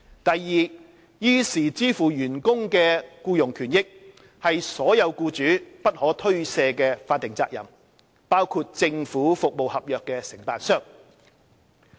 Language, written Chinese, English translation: Cantonese, 第二，依時支付員工的僱傭權益，是所有僱主不可推卸的法定責任，包括政府服務合約承辦商。, Second all employers including government service contractors should be reminded that it is their unshirkable statutory responsibility to make timely payment of employment rights and benefits to their employees